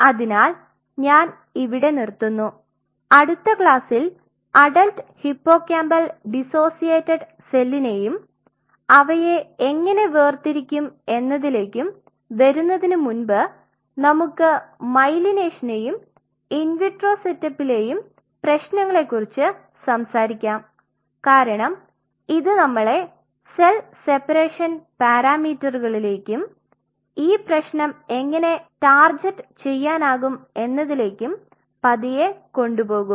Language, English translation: Malayalam, So, I am closing it here in the next class we are starting with the myelination problem and the in vitro setup before we really target this adult hippocampal dissociated cell and how to separate them out because this will slowly take us to the cell separation parameters and how we can really target this problem